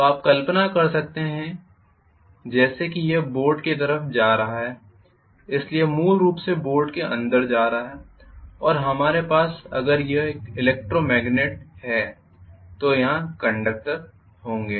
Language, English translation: Hindi, So you can imagine as though it is extending into the board, so it is essentially going inside the board and we are going to have, essentially if it is an electromagnet we will have conductors here